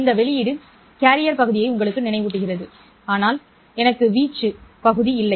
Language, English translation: Tamil, Now, this output reminds you of the carrier part, but I don't have the amplitude part